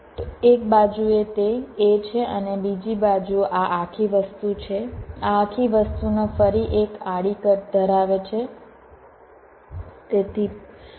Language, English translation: Gujarati, so on one side it is a and the other side is this whole thing, this whole things again has a horizontal cut